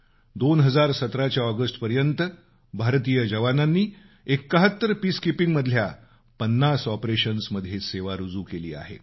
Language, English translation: Marathi, Till August 2017, Indian soldiers had lent their services in about 50 of the total of 71 Peacekeeping operations undertaken by the UN the world over